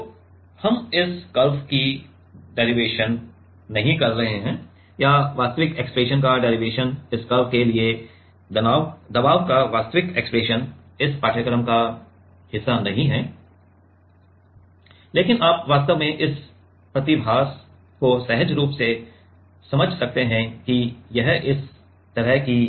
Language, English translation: Hindi, So, we are not like a derivation of this curve or the actual expression derivation of the actual expression of pressure of the for this curve is not a part of this course, but you can actually intuitively understand this phenomena it is like this